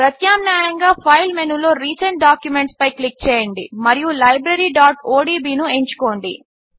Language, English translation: Telugu, Alternately, click on Recent Documents in the File menu, and choose Library.odb